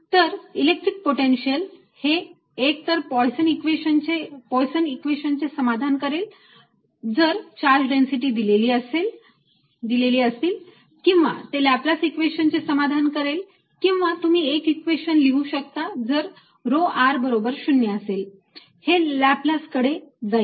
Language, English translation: Marathi, so the electrostatic potential either satisfies the poisson's equation if there is charge density, or laplace's equation, or you can just write one equation: if rho r equals zero, it goes over to the laplace's equation and then solve with the appropriate boundary conditions and you get your answer